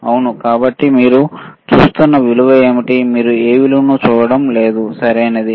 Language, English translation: Telugu, Yes, so, what is the value you are looking at, you are not looking at any value, right